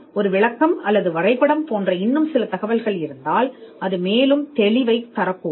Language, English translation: Tamil, If there are some further information like a description or drawing that needs that can add further clarity